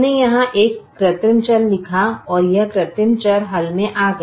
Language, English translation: Hindi, we wrote an artificial variable here and this artificial variable came into the solution